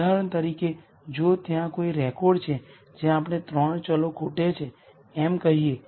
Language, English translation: Gujarati, For example, if there is a record where there are let us say 3 variables that are missing